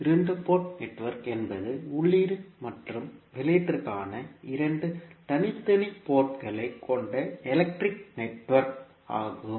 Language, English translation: Tamil, Two port network is an electrical network with two separate ports for input and output